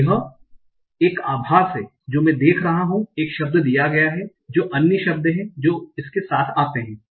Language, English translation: Hindi, That is, I will see given a word what are the other words it comes with